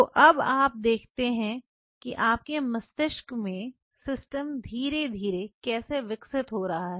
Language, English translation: Hindi, So, now, you see how the system is slowly evolving in your brain